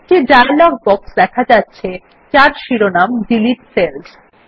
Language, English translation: Bengali, A dialog box appears with the heading Delete Cells